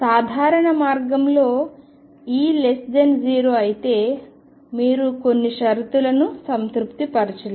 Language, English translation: Telugu, In a simple way if E is less than 0 you would not be able to satisfy certain conditions